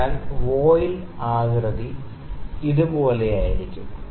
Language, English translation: Malayalam, So, the shape of the voile is something like this